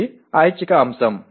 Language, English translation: Telugu, This is also an optional element